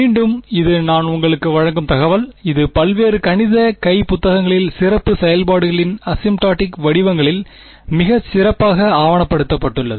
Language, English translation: Tamil, Again this is just information I am giving you, with this is very very well documented in various mathematical hand books asymptotic forms of special functions